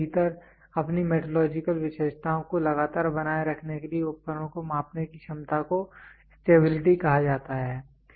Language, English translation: Hindi, So, so ability of measuring instrument to constantly maintain its metrological characteristics within time is called as stability